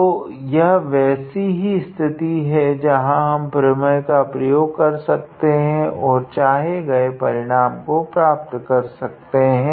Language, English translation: Hindi, So, this is one such situation, where we can use that theorem and obtain the required result